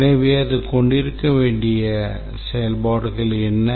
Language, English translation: Tamil, So, what are the functionalities that it should have